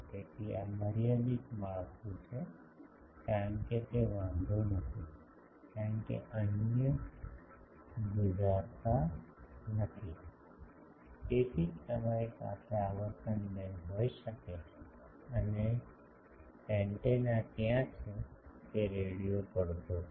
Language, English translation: Gujarati, So, this is the finite structure, because it does not matter, because others are not resonating, so that is why you can have a frequency band and over that there is antenna is radio resonating